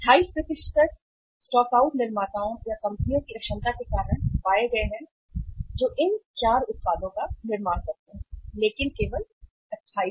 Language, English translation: Hindi, 28% of the stockouts were found because of the inefficiency of the manufacturers or the companies who manufacture these 4 products, 28% but only